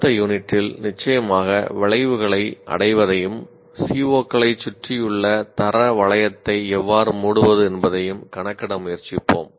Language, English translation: Tamil, And in the next unit, we will try to compute the attainment of course outcomes and how to close the quality loop around the C MOS